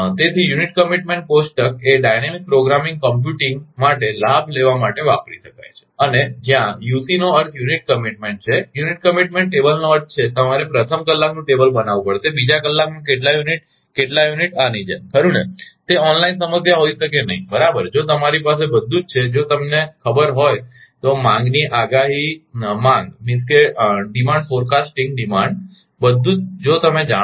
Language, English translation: Gujarati, So, dynamic programming can be used to take advantage for computing unit commitment table and, where I am timing unit UC means unit commitment unit, commitment table means you have to make up a table first hour, how many units second hour how many units like this right, it is cannot be a online problem right it, ah if you have everything if you know the demand forecasting demand everything if you know